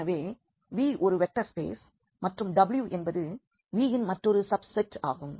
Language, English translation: Tamil, So, let V be a vector space and let W be a subset of V